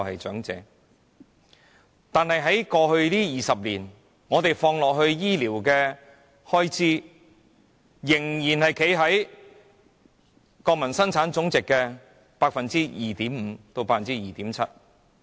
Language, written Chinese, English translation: Cantonese, 可是，在過去20年，本港投放在醫療的開支依然只佔國民生產總值的 2.5% 至 2.7%。, However in the past 20 years Hong Kongs expenditure on health care still accounts for only 2.5 % to 2.7 % of our GDP